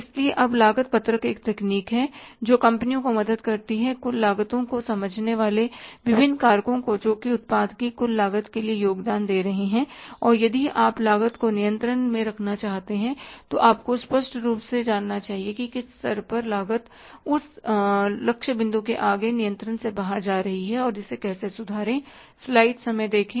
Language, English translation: Hindi, So, here now the cost sheet is the one technique which helps the companies to understand the different factors constituting the total cost or contributing towards the total cost of the product and if you want to keep the cost under control you must be clearly knowing at what level the cost is going beyond control only to hit at that point and then to rectify it